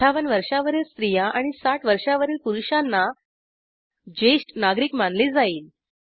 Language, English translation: Marathi, So for female it is 58 and for men it is 60 to be considered as senior citizens